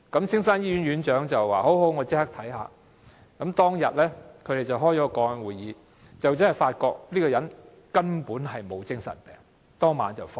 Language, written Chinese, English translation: Cantonese, 青山醫院院長說立即處理，當天他們召開了個案會議，發覺這個人根本沒有精神病後，當晚便讓他離院。, HCE of Castle Peak Hospital said he would deal with the matter immediately . He then convened a case meeting on the same day . The patient was discharged from the hospital on the same night after they found that he was not suffering from any psychiatric illnesses